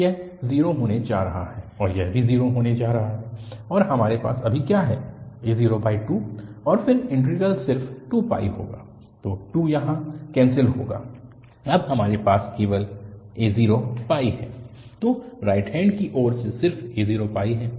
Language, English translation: Hindi, So, this is going to be 0, and this is also going to be 0 and what we have here now, a0 by 2 and then the integral will be just 2 pi, so 2 get cancel here, we have a simply a0 pi